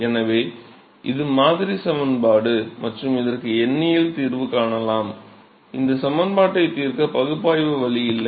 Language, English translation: Tamil, So, one can find numerical solution for this; there is no analytical way to solve this equation